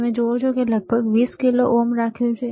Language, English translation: Gujarati, You see resistance he has kept around 20 kilo ohm